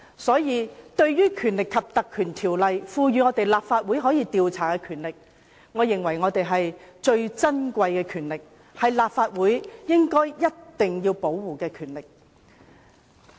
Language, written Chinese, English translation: Cantonese, 所以，對於《條例》賦予立法會可以調查的權力，我認為最是珍貴，是立法會必須守護的權力。, Hence I highly cherish the investigation power endowed on the Legislative Council by the Ordinance and I think such powers must be upheld by the Legislative Council